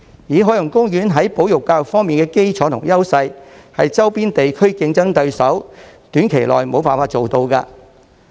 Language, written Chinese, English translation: Cantonese, 以海洋公園在保育教育方面的基礎及優勢，是周邊地區的競爭對手短期內無法做到的。, Judging from OPs foundation and strengths in conservation and education it is impossible for its competitors in the neighbouring regions to be on a par with OP in the near future